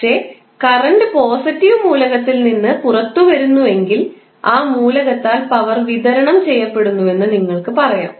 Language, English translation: Malayalam, But, if the current is coming out of the positive element the power is being supplied by that element